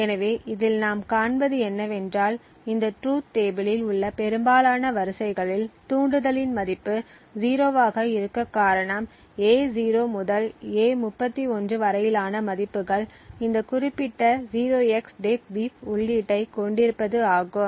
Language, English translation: Tamil, So, what we see in this is that in most of the rows in this truth table the trigger has a value of 0 exactly when the values of A0 to A31 has this specific 0xDEADBEEF input then you have a value of trigger to be 1, in all other cases or trigger has a value of 0